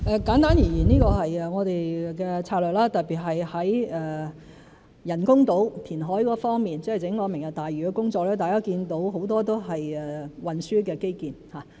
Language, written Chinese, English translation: Cantonese, 簡單而言這是我們的策略，特別是在人工島填海方面，即整個"明日大嶼"的工作，大家可見很多都是運輸的基建。, Put simply this is our strategy especially in respect of reclamation for the artificial islands ie . the entire Lantau Tomorrow project Members can see that it is comprised mainly of transport infrastructure